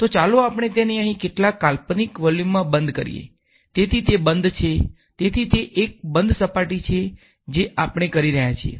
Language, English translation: Gujarati, And let us enclose it in some imaginary volume over here; so it is a closed so, it is a closed surface that is what we are doing